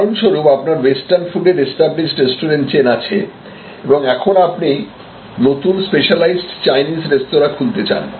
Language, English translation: Bengali, Suppose you are a very well established restaurant chain offering western food and now, you want to get in to Chinese you want to open specialized Chinese restaurants